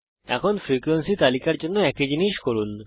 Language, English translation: Bengali, Now for the frequency list do the same thing